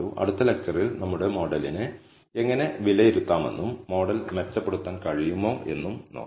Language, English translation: Malayalam, So, in the next lecture we will see how to assess our model and we will see if we can improvise our model